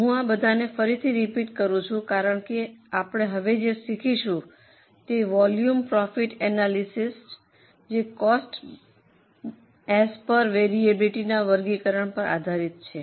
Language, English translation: Gujarati, I am repeating all this again because what we are going to learn now that is cost volume profit analysis is mainly based on classification of cost as per variability